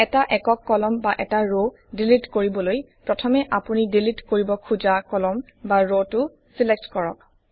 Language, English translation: Assamese, For deleting a single column or a row, first select the column or row you wish to delete